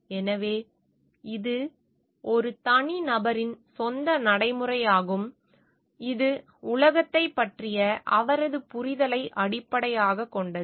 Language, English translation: Tamil, So, this is also persons own practice which is based on his or her understanding of the world